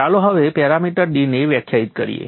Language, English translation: Gujarati, Let us first define the parameter D